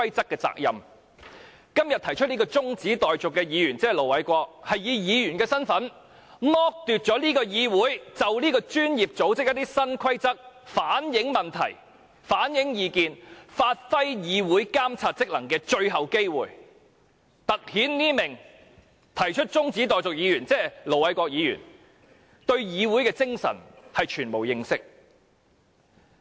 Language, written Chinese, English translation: Cantonese, 今天動議中止待續議案的議員是以議員身份，剝奪議會就這個專業組織的新規則反映問題及意見，發揮議會監察職能的最後機會，突顯這名動議中止待續議案的議員對議會精神全無認識。, In his capacity as a Member the mover of todays adjournment motion Ir Dr LO Wai - kwok has deprived this Council of the last chance to reflect the problems of and their views on Law Societys new rules and perform its monitoring duty . This shows that the mover of the adjournment motion Ir Dr LO Wai - kwok knows nothing whatsoever about the spirit of this Council